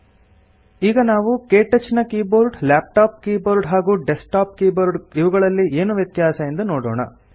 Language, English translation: Kannada, Now let us see if there are differences between the KTouch keyboard, laptop keyboard, and desktop keyboard